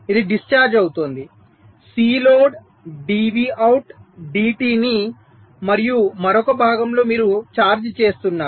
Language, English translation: Telugu, so this is discharging, c load dv out, d t, and in the other part you are charging